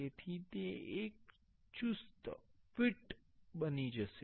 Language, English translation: Gujarati, So, it will be a tight fit